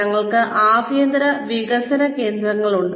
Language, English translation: Malayalam, We have in house development centers